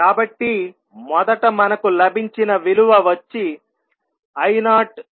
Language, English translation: Telugu, So, from first the value what we get is I0 by s